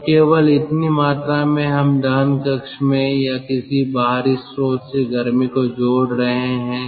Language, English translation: Hindi, then only this much amount of heat we are adding in the combustion chamber, or rather from an external source